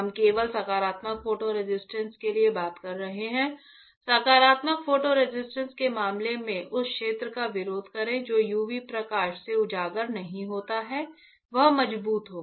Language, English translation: Hindi, We are talking only for positive photo resist in case of positive photo resist the area which is not exposed by UV light the area which is not exposed by UV light will be stronger